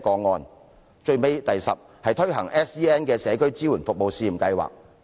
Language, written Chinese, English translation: Cantonese, 第十，政府應為有 SEN 的學生推行社區支援服務試驗計劃。, Tenth the Government should launch a community support service pilot scheme for SEN students